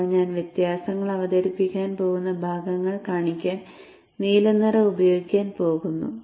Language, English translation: Malayalam, I am going to use the blue color to show the portions at which now I am going to introduce the differences